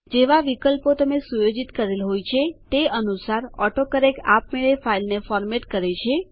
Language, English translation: Gujarati, AutoCorrect automatically formats the file according to the options that you set